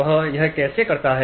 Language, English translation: Hindi, How do they do it